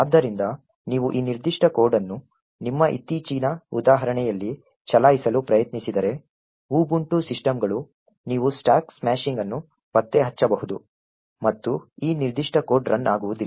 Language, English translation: Kannada, So, quite likely if you try to run this particular code on your latest for example Ubuntu systems you would get stack smashing getting detected and this particular code will not run